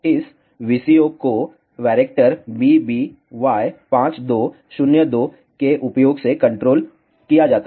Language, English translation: Hindi, This VCO is controlled using Varactor BBY 52 02